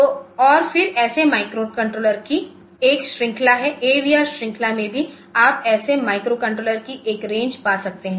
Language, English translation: Hindi, So, and again there is a range of such microcontrollers, in the AVR series also you can find a range of such microcontrollers